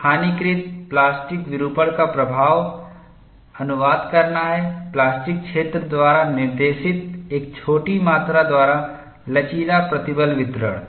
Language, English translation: Hindi, The effect of localized plastic deformation is to translate the elastic stress distribution by a small amount dictated by the plastic zone